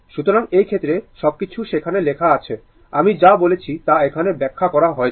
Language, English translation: Bengali, So, in this case everything is written there, whatever I said everything is explained here, right